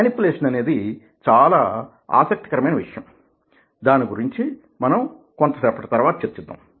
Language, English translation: Telugu, now, manipulation is very interesting area, as we will discuss little later